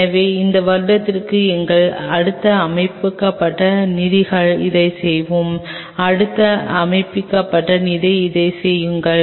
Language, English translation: Tamil, So, within this year we will achieve this with our next set up funds will do this, next set up fund do this